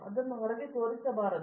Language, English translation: Kannada, It should not be shown outside